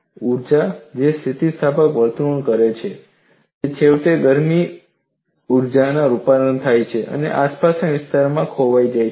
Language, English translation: Gujarati, The energy that causes anelastic behavior is eventually converted into heat energy and is lost to the surroundings; that is quite alright